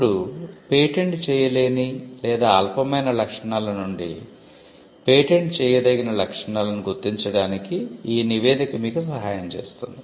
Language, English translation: Telugu, Now, this report will help you to determine the patentable features from the non patentable or the trivial features